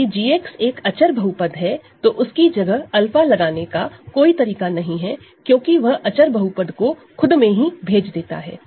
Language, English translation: Hindi, So, if g x is a constant polynomial there is no way no nothing to substitute alpha for it sends that constant polynomial to itself; that means, if you now compose this